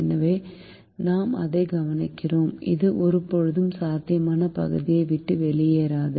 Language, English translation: Tamil, so we observe that it will never leave the feasible region